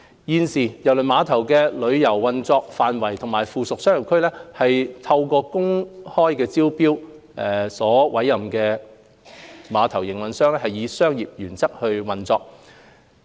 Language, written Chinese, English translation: Cantonese, 現時，郵輪碼頭的郵輪運作範圍及附屬商業區是透過公開招標所委任的碼頭營運商以商業原則運作。, Currently the cruise operation and ancillary commercial area of KTCT are operated on commercial principles by a terminal operator through open tender